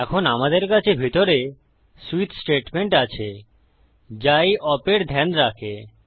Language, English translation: Bengali, Now we have a switch statement inside, which takes this op into account